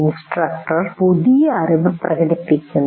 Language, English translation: Malayalam, The instructor is demonstrating the new knowledge